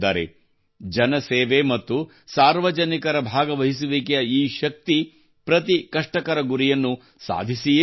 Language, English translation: Kannada, This power of public service and public participation achieves every difficult goal with certainty